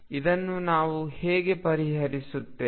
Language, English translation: Kannada, How do we solve this